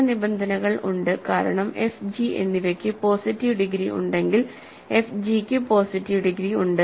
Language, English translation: Malayalam, Some conditions are trivial, because if f and g have positive degree f g has positive degree